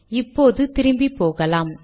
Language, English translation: Tamil, Lets go back